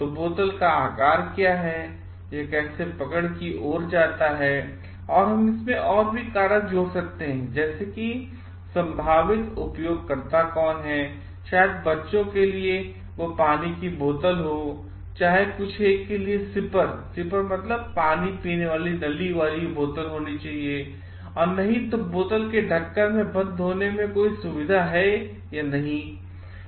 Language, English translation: Hindi, So, what is the shape of the bottle, how it lead to a grip and also, we may add more finer variables to it like who are the potential users maybe whether kids for kids whether it is for a water bottle, whether something sipper should be there or not whether the cap should have a lock or not